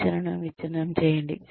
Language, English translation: Telugu, Break up the training